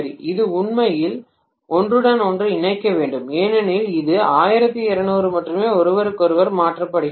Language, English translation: Tamil, It should actually overlap because it is 120 degrees only shifted from each other